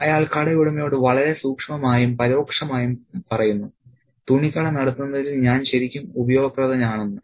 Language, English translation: Malayalam, He tells the shop owner very subtly and indirectly that he is really useful in running the clothes shop ship shape